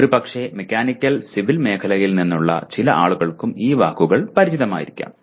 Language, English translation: Malayalam, And maybe peripherally some people from Mechanical and Civil also maybe familiar with these words